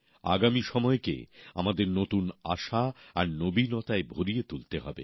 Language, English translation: Bengali, We have to infuse times to come with new hope and novelty